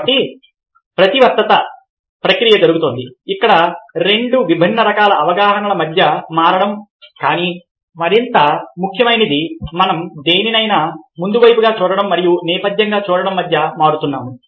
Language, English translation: Telugu, ok, so there is a reversible process taking place where switching between two different kinds of perception but, more important, we are switching between looking at something as foreground and looking at something as as background